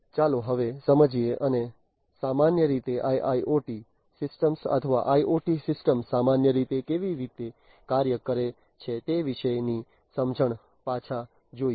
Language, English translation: Gujarati, So, let us now get into understanding and going back, going back into the understanding about how in general the IIoT systems or IoT systems in general work